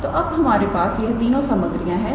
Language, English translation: Hindi, So, now we have all these three ingredients